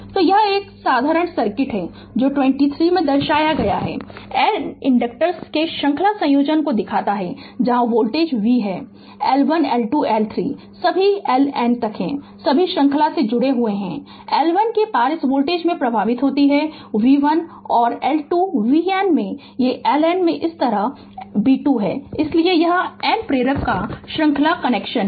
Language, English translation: Hindi, So, this is a simple circuit that your 23 shows series combination of N inductors, where voltage v is there L 1 L 2 L 3 all are up to L N all are connected in series current flowing to this i voltage across L 1 is v 1 and L 2 is b 2 like this across L N in v N right, so this is series connection of N inductor